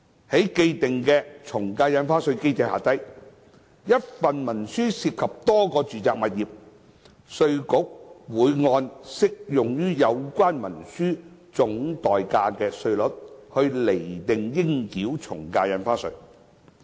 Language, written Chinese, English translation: Cantonese, 在既定從價印花稅機制下，若一份文書涉及多個住宅物業，稅務局會按適用於有關文書總代價的稅率，釐定應繳的從價印花稅。, Under the established AVD regime for a single instrument involving multiple residential properties IRD will determine the AVD payable at the applicable rate based on the total consideration of the instrument